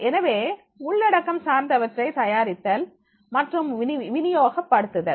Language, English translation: Tamil, So prepare and distribute content related, right